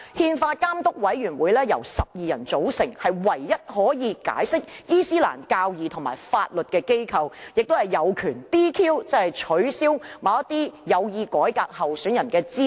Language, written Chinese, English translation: Cantonese, 憲法監督委員會由12人組成，是唯一可以解釋伊斯蘭教義和法律的機構，亦有權 "DQ"， 即取消某些有意改革的候選人的資格。, The 12 - member Council is rested with the exclusive power to interpret Islamic values and laws . It can also DQ or disqualify reform - minded candidates